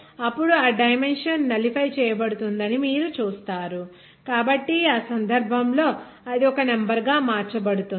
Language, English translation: Telugu, Then you will see that dimension will be nullified so in that case, it will be converted as a number